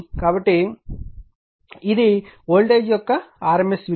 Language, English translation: Telugu, So, this is your RMS value of the voltage 4